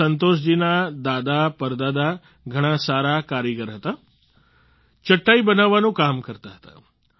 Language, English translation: Gujarati, Santosh ji's ancestors were craftsmen par excellence ; they used to make mats